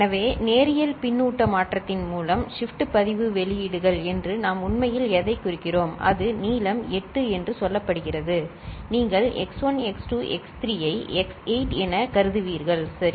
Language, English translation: Tamil, So, by linear feedback shift register what we actually mean that the shift register outputs, it is say length 8, you will consider x1 x2 x3 like up to say x8, ok